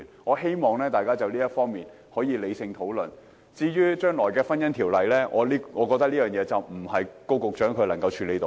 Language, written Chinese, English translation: Cantonese, 我希望大家可以就此理性討論，至於《婚姻條例》將來的走向，我認為這並非高局長可以處理得到。, I hope Members can hold rational discussions on this matter . Speaking of the Ordinance I do not think Secretary Dr KO will be able to deal with its way forward